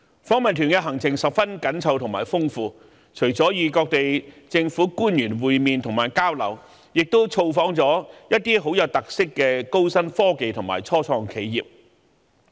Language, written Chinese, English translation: Cantonese, 訪問團的行程十分緊湊和豐富，除了與當地政府官員會面和交流，亦造訪了一些極具特色的高新科技及初創企業。, The itinerary was packed with programmes . Apart from meetings and exchanges with local government officials the delegation also visited high - tech corporations and start - ups of special characteristics